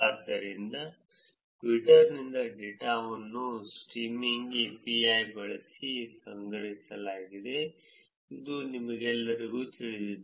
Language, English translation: Kannada, So, the data the data from Twitter was collected using Streaming API, which all of you are aware of